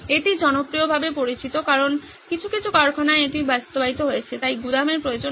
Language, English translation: Bengali, This is popularly known as just in time in some factories have this implemented, so there is no need for a warehouse